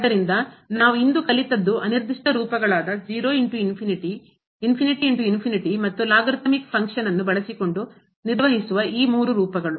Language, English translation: Kannada, So, what we have learnt today the indeterminate form of 0 into infinity infinity into infinity and these three which were handle using the logarithmic function